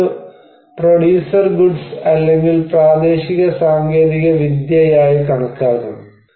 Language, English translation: Malayalam, This should be considered as a producer goods or local technology